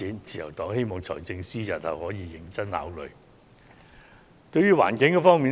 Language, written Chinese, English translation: Cantonese, 自由黨希望財政司司長日後可認真考慮這項建議。, The Liberal Party hopes that the Financial Secretary will take our proposal into serious consideration